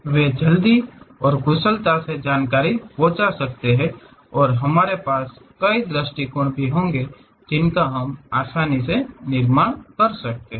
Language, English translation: Hindi, They can be quickly and efficiently convey information and we will have multiple views also we can easily construct